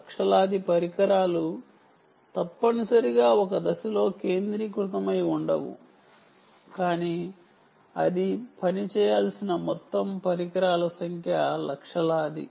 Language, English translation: Telugu, potentially millions of devices, not necessarily concentrated at one point, but overall number of devices that it should work